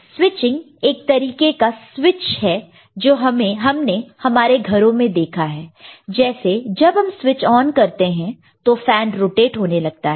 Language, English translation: Hindi, Switching is the kind of switch that we have seen in our household like we switch on the fan – fan starts rotating